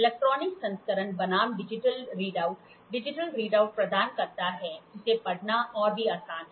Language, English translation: Hindi, Electronic version versus digital readout provides digital readout that are even easier to read